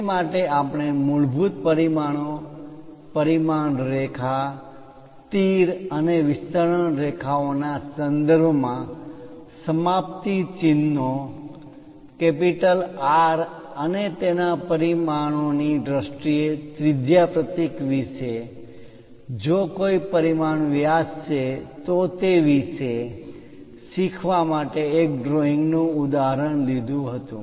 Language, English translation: Gujarati, For that, we have taken an example of a drawing try to learn about the basic dimensions, the dimension line, the termination symbols in terms of arrows and extension lines, radius symbol in terms of R and its dimension, if a diameter is involved denoted by phi and diameter is this entire thing and its symbol